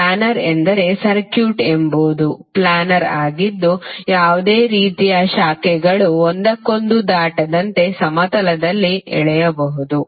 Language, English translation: Kannada, Planer means the circuit is the planer which can be drawn in a plane with no branches crossing one another